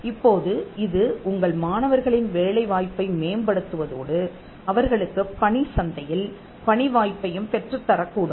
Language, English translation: Tamil, Now, that could come as something that enhances the employability of your students and for them to get a job in the market